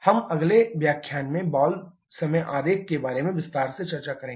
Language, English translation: Hindi, We shall we discuss in detail about the valve timing diagram in the next lecture